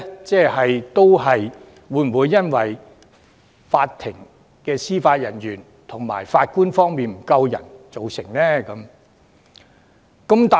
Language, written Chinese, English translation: Cantonese, 這是否因為法庭司法人員和法官人手不足而造成呢？, Is this caused by the shortage of Judicial Officers and Judges?